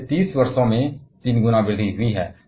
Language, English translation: Hindi, So, a 3 time increase in 30 years